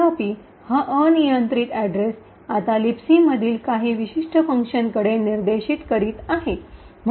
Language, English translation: Marathi, However, this arbitrary address is now pointing to some particular function in a LibC